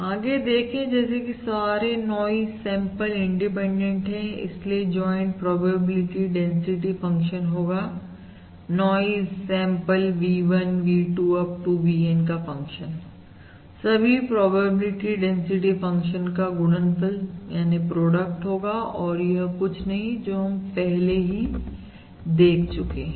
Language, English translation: Hindi, therefore, the joint probability density functions function of these noise samples V1, V2… Up to VN is the product of the individual probability density functions and this is also something which we have seen before